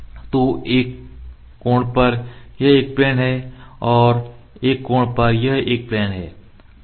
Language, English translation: Hindi, So, this is a plane at an angle this is plane at an angle ok